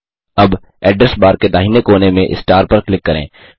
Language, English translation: Hindi, * Now, from the right corner of the Address bar, click on the star